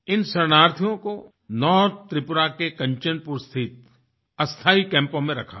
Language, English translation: Hindi, These refugees were kept in temporary camps in Kanchanpur in North Tripura